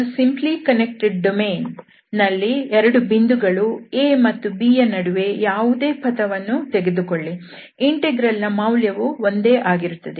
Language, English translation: Kannada, So, we have simply connected domain and you take any, any part between the 2 points A and B, that value of the integral will be the same